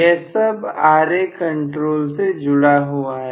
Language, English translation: Hindi, So much so far, Ra control